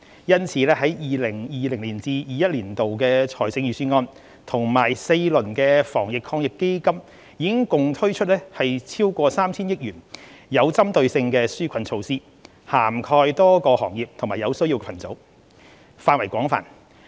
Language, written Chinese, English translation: Cantonese, 因此 ，2020-2021 年度財政預算案及4輪防疫抗疫基金已共推出逾 3,000 億元具針對性的紓困措施，涵蓋多個行業和有需要群組，範圍廣泛。, To this end the Government has introduced targeted relief measures amounting to over 300 billion through the 2020 - 2021 Budget and the four rounds of injections into the Anti - epidemic Fund AEF that covered a wide range of industries and groups in need